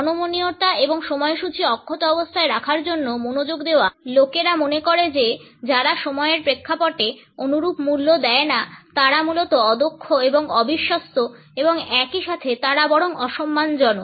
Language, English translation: Bengali, The rigidity and the focus to keep the schedules intact conditions, people to think that those people who do not subscribe to similar value system in the context of time are basically inefficient and unreliable and at the same time they are rather disrespectful